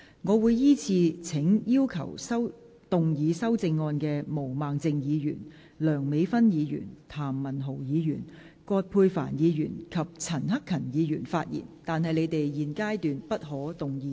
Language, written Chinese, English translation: Cantonese, 我會依次請要動議修正案的毛孟靜議員、梁美芬議員、譚文豪議員、葛珮帆議員及陳克勤議員發言；但他們在現階段不可動議修正案。, I will call upon Members who move the amendments to speak in the following order Ms Claudia MO Dr Priscilla LEUNG Mr Jeremy TAM Dr Elizabeth QUAT and Mr CHAN Hak - kan; but they may not move amendments at this stage